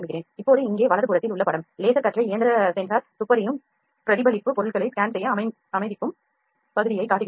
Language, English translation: Tamil, Now the figure at the right here shows the area in which the machine sensor detective reflection of the laser beam allowing the objects to be scanned ok